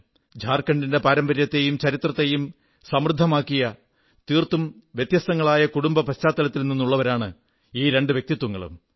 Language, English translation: Malayalam, He further states that despite both personalities hailing from diverse family backgrounds, they enriched the legacy and the history of Jharkhand